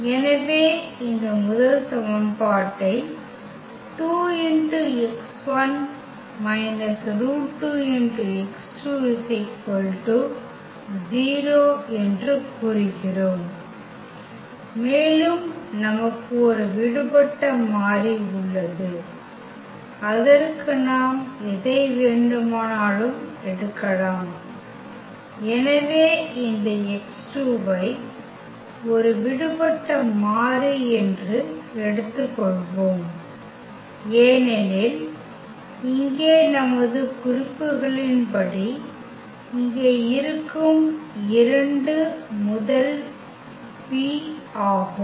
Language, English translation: Tamil, So, we have basically this first equation which says that 2 x 1 minus square root 2 x 2 is equal to 0 and we have one free variable which we can take whichever we want, so let us take this x 2 is a free variable because as per our notations here this is the first the p both here